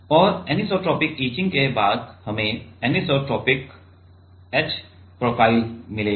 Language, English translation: Hindi, And after anisotropic etching we will get anisotropic h profile